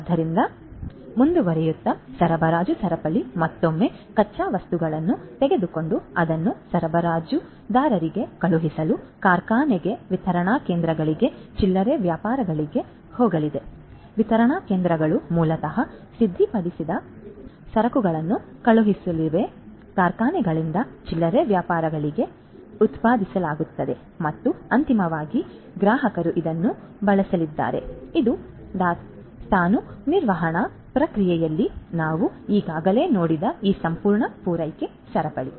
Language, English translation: Kannada, So, going forward, so you know the supply chain once again is going to take the raw materials send it to the supplier goes to the factory, to the distribution centers, to the retailers the these distribution you know centers basically are going to send the finished goods, that are produced by the factories to the retailers and finally, the customers are going to use it this is this whole supply chain that we have already seen in the inventory management process